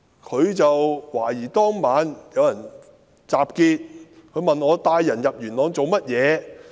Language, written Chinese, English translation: Cantonese, 他懷疑當晚有人集結，問我帶人到元朗做甚麼。, Suspecting that there was an assembly that night he asked for what I led people to Yuen Long